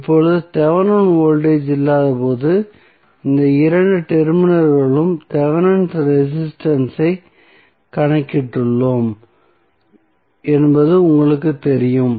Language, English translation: Tamil, Now, you know that we have calculated the Thevenin resistance across these two terminals while there was no Thevenin voltage